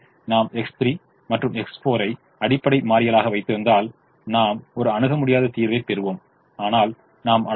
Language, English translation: Tamil, so if i keep x three and x four as basic variables, i will get an infeasible solution, but the identity matrix i have with me